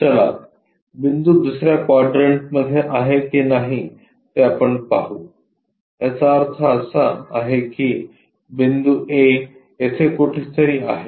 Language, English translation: Marathi, Let us look at if a point is in the 2nd quadrant; that means, the point is somewhere here A